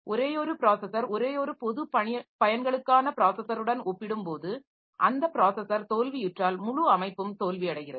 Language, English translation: Tamil, Compared to the single process, single general purpose processor if that processor fails then the entire system fails